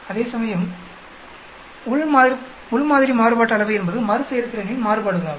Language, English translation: Tamil, Whereas, within sample variance means variations in the repeatability